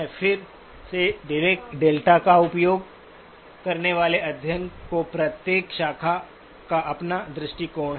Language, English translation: Hindi, Again each of the branches of study of who use the Dirac delta have their own perspective on it